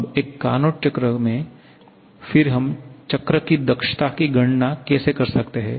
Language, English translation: Hindi, So, this is how we talk about the Carnot cycle, now in a Carnot cycle then how we can calculate the efficiency of the cycle